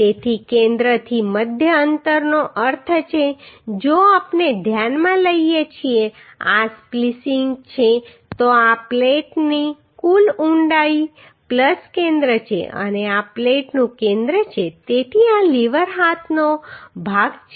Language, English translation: Gujarati, So centre to centre distance means if we consider this is the splicing so this is the total depth plus centre of this plate and centre of this plate so this will be the lever arm right